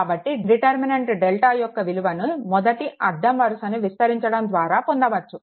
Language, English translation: Telugu, So, the value of the determinant delta can be obtained by expanding along the first row